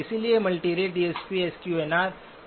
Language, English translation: Hindi, So multirate DSP can reduce SQNR